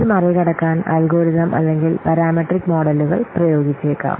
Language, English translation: Malayalam, So, in order to overcome this we may apply algorithmic or parametric models